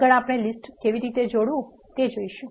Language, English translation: Gujarati, Next, we will see how to concatenate the list